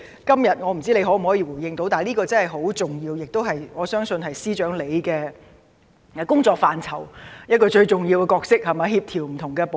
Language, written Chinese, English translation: Cantonese, 今天我不知道司長可會回應，但這方面確實很重要，我相信司長工作範疇中的一個最重要部分，是協調不同部門。, I wonder if the Chief Secretary will respond to these questions today but it is a very important task and I believe the coordination of various departments is one of the most important tasks of the Chief Secretarys portfolio